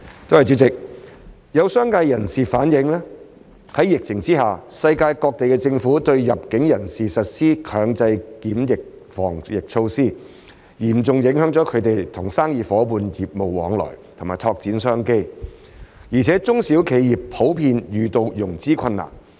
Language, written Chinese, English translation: Cantonese, 主席，有商界人士反映，在疫情下，世界各地政府對入境人士實施強制檢疫等防疫措施，嚴重影響他們與生意夥伴的業務往來及拓展商機，而且中小企業普遍遇到融資困難。, President some members of the business sector have relayed that amid the epidemic governments around the world have imposed anti - epidemic measures such as compulsory quarantine on inbound travellers seriously affecting their business connections with business partners and their tapping of business opportunities and small and medium enterprises SMEs have generally encountered financing difficulties